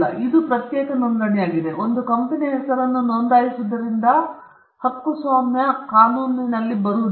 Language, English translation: Kannada, It’s a separate registration, like registering a company’s name does not come under the copyright law